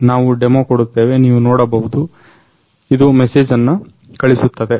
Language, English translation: Kannada, We will show a demo you can see, it will send the message